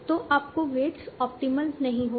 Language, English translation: Hindi, So your weights will not be optimal